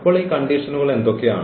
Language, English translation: Malayalam, So, what are these conditions